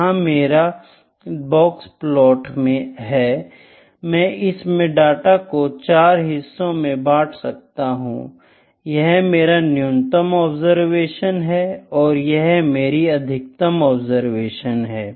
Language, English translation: Hindi, This is my box plot, ok, I divide my data into quartiles, this is my lowest observation, and this is my highest observation